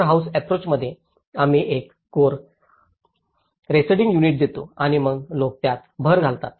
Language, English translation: Marathi, In a core house approach, we give a core dwelling unit and then people add on to it